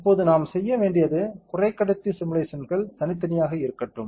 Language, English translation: Tamil, Now, what we have to do is, let us there is semiconductor simulations separately